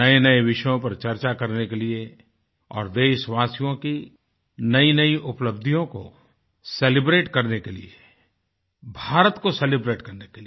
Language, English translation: Hindi, This is to discuss newer subjects; to celebrate the latest achievements of our countrymen; in fact, to celebrate India